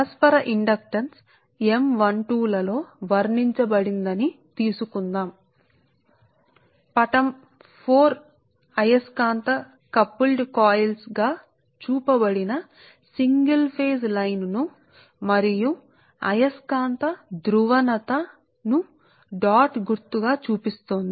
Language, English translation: Telugu, so thats why figure four this is the figure four right shows the single phase line, views us to magnetically coupled coils and the magnetic polarities shown by dot symbol